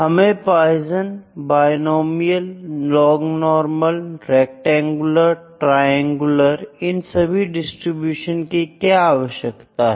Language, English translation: Hindi, Why do we need for Poisson, binomial, log normal, rectangular, triangular all the distributions